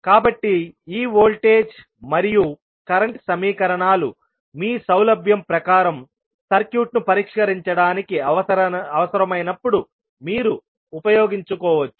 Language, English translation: Telugu, So, these voltage and current equations you can use whenever it is required to solve the circuit according to your convenience